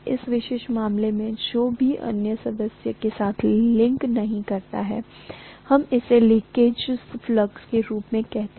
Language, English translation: Hindi, In this particular case, whatever does not link with the other member, we call that as the leakage flux